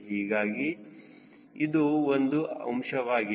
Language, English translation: Kannada, so this is the point